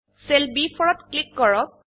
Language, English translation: Assamese, Click on the cell B4